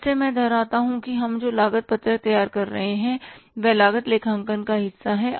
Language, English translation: Hindi, Again, I repeat that the cost sheet which we are preparing, there is a part of cost accounting